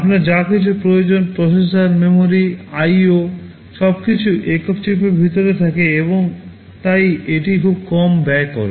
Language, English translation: Bengali, Whatever you need, processor, memory, IO everything is inside a single chip and therefore, it is very low cost